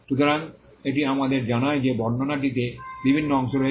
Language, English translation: Bengali, So, this tells us that the description comprises of various parts